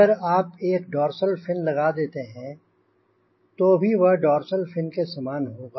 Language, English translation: Hindi, if you put a dorsal pin, generally it will be that is with dorsal fin